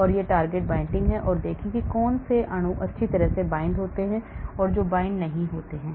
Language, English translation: Hindi, and that is the target binding and see which molecules bind well, which does not bind